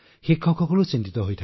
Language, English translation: Assamese, Teachers also get upset